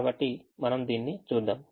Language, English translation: Telugu, let us go back to the